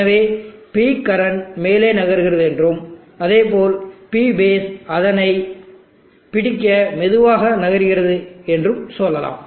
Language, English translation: Tamil, So let us say the P current is moving up and P base is slowly also moving try to catch up with it